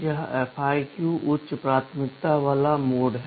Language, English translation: Hindi, This FIQ is the high priority mode